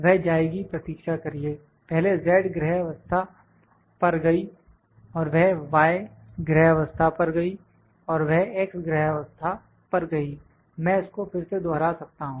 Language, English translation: Hindi, It will first wait went to z home position and it went to y home position and it went to x home position I can repeat it again